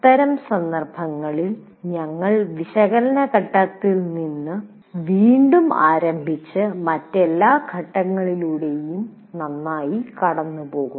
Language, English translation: Malayalam, In that case you have to start all over again from analysis phase and go through all the other phases as well